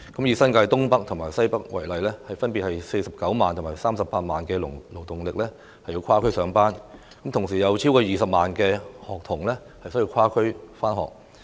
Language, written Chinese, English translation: Cantonese, 以新界東北和新界西北為例，分別有49萬和38萬名"打工仔"需跨區上班，並有超過20萬名學童需跨區上學。, Take Northeast New Territories and Northwest New Territories as examples . There are respectively 490 000 and 380 000 wage earners who have to work across districts and more than 200 000 students who need to attend schools in other districts